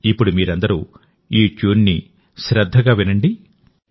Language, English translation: Telugu, Listen carefully now to this tune